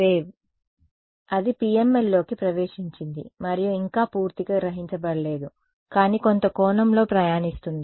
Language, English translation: Telugu, The wave, that has entered the PML and not yet fully absorbed, but travelling at some angle right